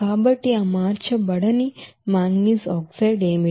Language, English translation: Telugu, So what is that unconverted manganese oxide